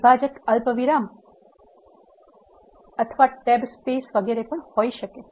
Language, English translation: Gujarati, The separator can also be a comma or a tab etcetera